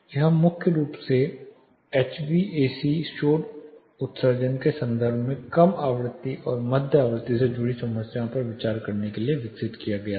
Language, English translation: Hindi, It was primarily developed to consider the low frequency and mid frequency associated problems in terms of primarily relating in terms of HVAC noise emissions